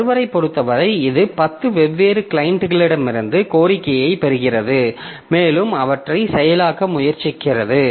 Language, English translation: Tamil, So, as far as the server is concerned, so it is getting request from 10 different clients and it is trying to process them